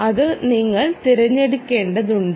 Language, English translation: Malayalam, ah, that you should choose